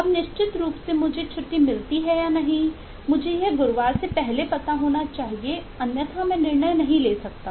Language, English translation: Hindi, now, certainly, whether I get to proceed on leave or it is regretted, I must get to know it before thursday, otherwise I, I cannot take a decision